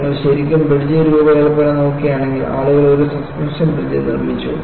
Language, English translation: Malayalam, If you really look at the bridge design, people built a suspension bridge